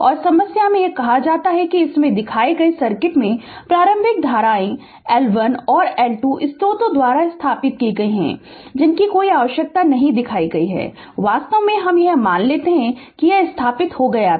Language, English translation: Hindi, And in problem it is said that in the circuit shown in this the initial currents l1 and l2 have been established by the sources right, not shown no need actually we assume that it was established